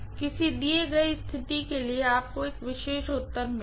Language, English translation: Hindi, For a given situation you will get one particular answer